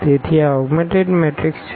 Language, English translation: Gujarati, So, this augmented matrix